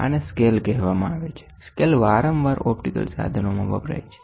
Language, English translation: Gujarati, These are called the scales; the scales are often used in optical instruments